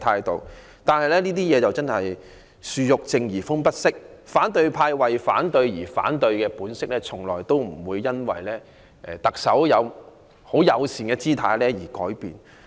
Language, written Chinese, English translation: Cantonese, 但是，"樹欲靜而風不息"，反對派為反對而反對的本色從來不會因為特首的友善姿態而改變。, However the tree craves calm but the wind will not subdue . The true colours of the opposition camp that opposes for the sake of opposition never change despite the Chief Executives friendly gesture